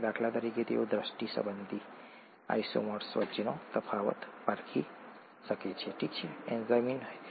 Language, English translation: Gujarati, For example, they can differentiate between optical isomers and act on only one kind of optical isomer, okay